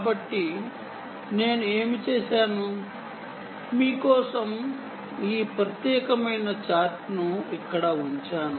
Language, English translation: Telugu, so what i did was i just put down this particular chart for you here